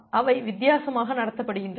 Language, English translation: Tamil, They are treated differently